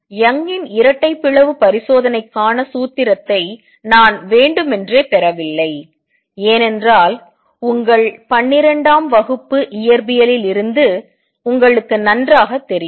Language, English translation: Tamil, I have deliberately not derive the formula for Young’s double slit experiment, because that you know well from your twelfth grade physics